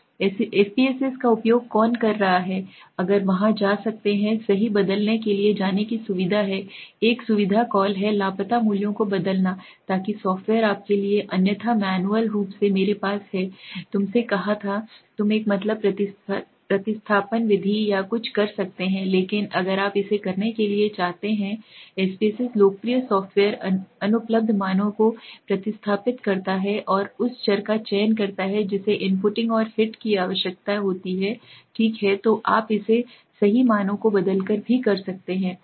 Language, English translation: Hindi, Who are using SPSS you can go to there is facility to go to transform right, there is a facility call transform replace missing values so that the software does it for you otherwise manually I have told you, you can do a mean substitution method or something but if you do want to do it by the SPSS replace popular software missing values and select the variable that need imputing and hit okay, so you can do it by transforming the values also right